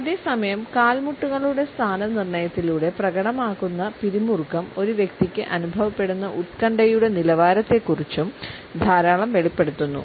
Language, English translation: Malayalam, At the same time, the tension which is exhibited through the positioning of the knees etcetera also discloses a lot about the anxiety level a person might be feeling